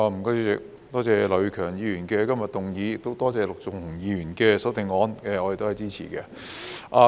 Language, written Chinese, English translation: Cantonese, 主席，多謝劉業強議員今日提出議案，亦多謝陸頌雄議員的修正案，我們都是支持的。, President I thank Mr Kenneth LAU for proposing this motion today and I also thank Mr LUK Chung - hung for his amendment . They both have our support